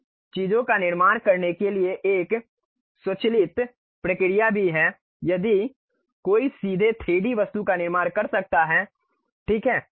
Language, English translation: Hindi, There is an automated procedure also to construct these things if one can really construct straight away 3D object ok